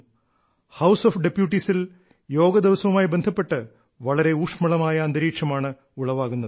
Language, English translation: Malayalam, I have been told that the House of Deputies is full of ardent enthusiasm for the Yoga Day